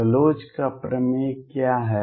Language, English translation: Hindi, What is Bloch’s theorem